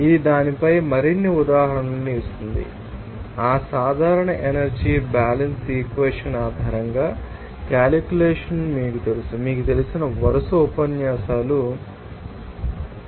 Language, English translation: Telugu, This will also give more examples on that, you know calculation based on that general energy balance equation, you know successive you know, lecture series